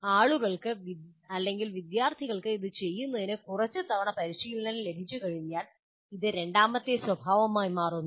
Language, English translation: Malayalam, So once people are trained, students are trained in doing this a few times, then it starts becoming second nature to the students